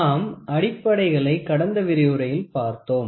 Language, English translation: Tamil, We had the basic in the last lecture